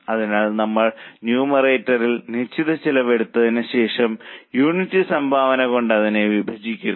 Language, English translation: Malayalam, So, we take fixed costs in the numerator and divide it by contribution per unit